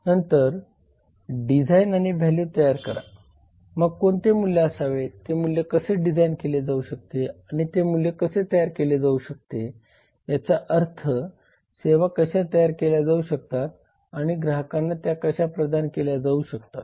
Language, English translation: Marathi, then design and create value so what value how can that value be designed and how that value can be created that means how can the services be created and how they can be provide it to customers